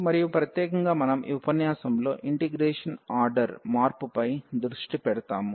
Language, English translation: Telugu, And in particular we will be focusing on the change of order of integration in this lecture